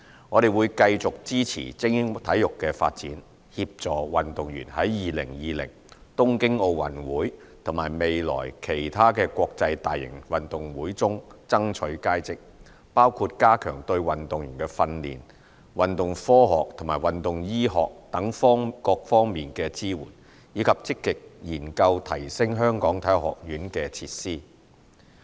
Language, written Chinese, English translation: Cantonese, 我們會繼續支持精英體育的發展，協助運動員在2020東京奧運會和未來其他國際大型運動會中爭取佳績，包括加強對運動員在訓練、運動科學和運動醫學等各方面的支援，以及積極研究提升香港體育學院的設施。, We will continue to support the development of elite sports to help our athletes excel at the 2020 Tokyo Olympics and other major international games in the future . For example we will step up our efforts in areas such as training sports science and sports medicine and we will proactively look into ways to enhance the facilities of the Hong Kong Sports Institute